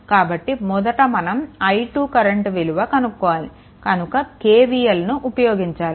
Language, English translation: Telugu, So, in this first you have to find out i 2 so, here you first apply KVL